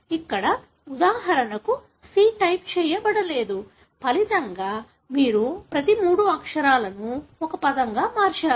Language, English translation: Telugu, Here for example, the C was not typed; as a result you have converted each three letter as a word